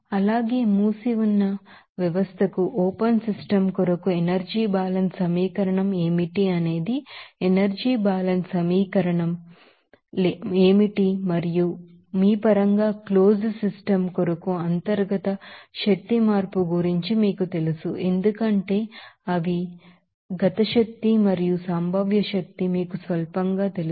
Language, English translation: Telugu, Also you have to remember that for the closed system, what should the energy balance equation for the open system what should be the energy balance equation and in terms of you know that internal energy change for the closed system we can write this here because they are kinetic energy and potential energy will be you know negligible